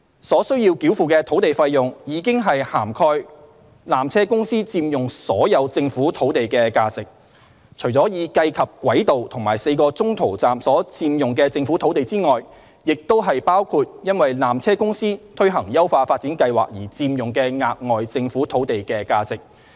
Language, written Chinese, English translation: Cantonese, 所須繳付的土地費用，已涵蓋纜車公司佔用所有政府土地的價值，除已計及軌道和4個中途站所佔用的政府土地外，也包括因纜車公司推行優化發展計劃而佔用的額外政府土地的價值。, The sum of consideration chargeable has already taken into account the land use under PTCs upgrading plan which would extend to additional Government land on top of the existing Government land on which the tram track and the four intermediate stations lie